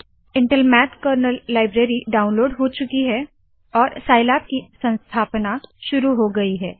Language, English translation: Hindi, Downloading of Intel Math Kernal Library has completed and the installation procedure for scilab has started